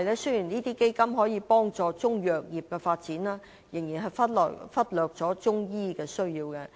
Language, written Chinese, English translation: Cantonese, 雖然基金能夠幫助中藥業的發展，但仍然忽略中醫的需要。, Although the fund can help the development of Chinese medicine it still neglects the needs of Chinese medicine practitioners